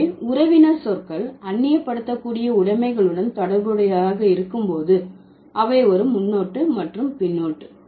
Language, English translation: Tamil, So, the kinship terms when they are related to a elenable position, they would involve a prefix and a suffix